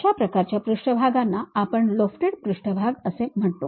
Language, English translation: Marathi, That kind of surfaces what we call lofted surfaces